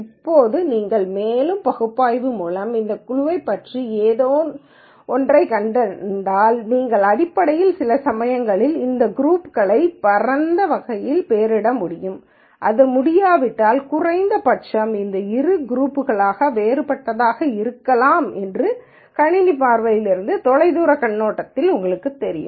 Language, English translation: Tamil, Now if you find something specific about this group by further analysis, then you could basically sometimes maybe even be able to label these groups and the broad categories if that is not possible at least you know from a distance viewpoint that these two might be a different behavior from the system viewpoint